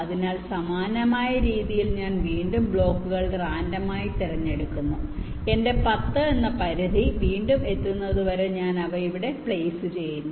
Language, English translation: Malayalam, so in a similar way, i again pick the blocks randomly, i place them here until my limit of ten is again reached